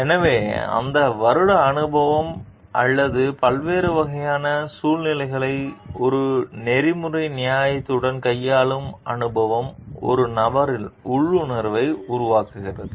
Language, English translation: Tamil, So, that years of experience or experience of handling different kinds of situations with an ethical justification develops intuition in a person